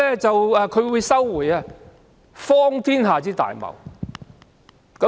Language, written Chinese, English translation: Cantonese, 這是荒天下之大謬。, This is the most absurd thing in the world